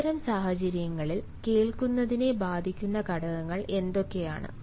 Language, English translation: Malayalam, what are the factors that can affect listening in such situations